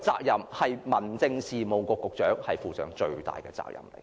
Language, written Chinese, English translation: Cantonese, 由此可見，民政事務局局長就此應負上最大責任。, From this we can see that the Secretary for Home Affairs should bear the greatest responsibility for this